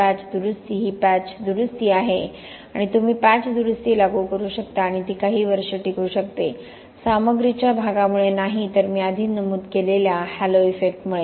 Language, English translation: Marathi, Patch repair is a patch repair and you can apply a patch repair and it could last for a few years, not because of the materials part, but because of the Halo effect that I mentioned before